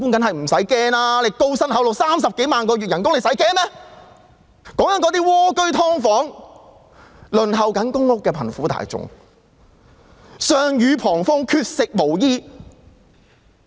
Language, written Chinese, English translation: Cantonese, 可是，普羅市民——我說的是那些蝸居戶、"劏房戶"及正在輪候公共房屋的貧苦大眾——卻是上雨旁風，缺食無衣。, However the general public―I am referring to those poor people living in shoebox homes subdivided units or on the Waiting List of Public Rental Housing―they are not provided with proper shelter nor do they have enough food and clothes